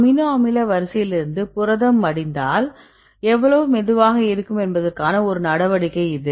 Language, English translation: Tamil, It is a measure of how fast a slow if protein can fold from its amino acid sequence